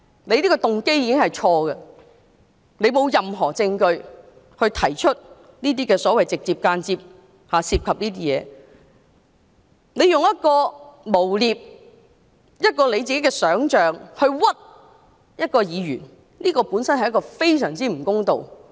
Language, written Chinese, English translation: Cantonese, 他這個動機已經錯誤，他沒有任何證據而提出"直接或間接地涉及"的指控，用自己想象出來的事去誣衊一位議員，本身已是非常不公道。, His motive is bad . He has no proof to support his allegation of directly or indirectly involved using his own imagination to slander a Legislative Council Member . This is extremely unjust by nature